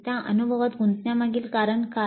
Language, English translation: Marathi, What is the reason for engaging in that experience